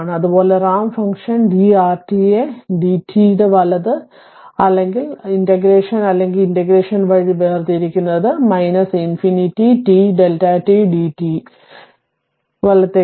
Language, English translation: Malayalam, Similarly, u t also is differentiation of ramp function d r t by d t right or by integration or by integration u t will be minus infinity to t delta t d t right